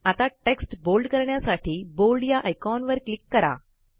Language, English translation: Marathi, Now click on the Bold icon to make the text bold